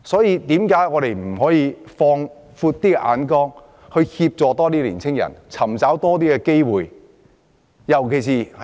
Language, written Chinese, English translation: Cantonese, 為何我們不可以放遠眼光，協助青年人尋找更多機會？, Why cant we be more far - sighted to help them look for more opportunities?